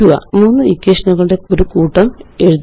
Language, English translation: Malayalam, Write a set of three equations